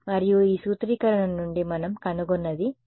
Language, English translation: Telugu, And what we find from this formulation is this R is equal to 0